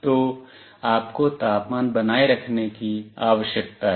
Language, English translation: Hindi, So, you need to maintain the temperature